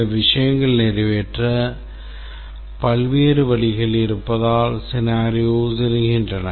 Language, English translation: Tamil, The scenarios arise because there are different ways certain things can get accomplished